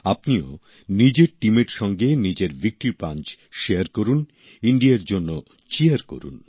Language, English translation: Bengali, Do share your Victory Punch with your team…Cheer for India